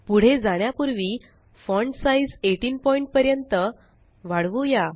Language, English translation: Marathi, Before we go ahead, let us increase the font size to 18 point